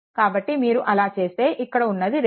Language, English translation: Telugu, So, if you do so, look this 2